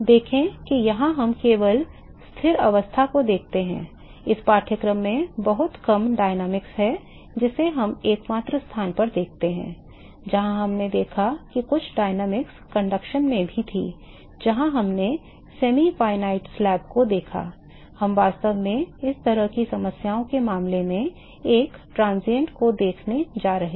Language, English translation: Hindi, See we look at only steady state case here in this course there is very little dynamics we look at the only place, where we looked at some dynamics was in conduction where we looked at the semi finite slab we really going to look at a transient cases in the these kinds of problems